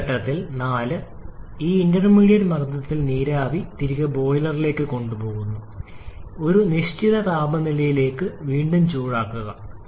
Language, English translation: Malayalam, And then at this point for this at this intermediate pressure the steam is taken back to the boiler to reheat back to certain temperature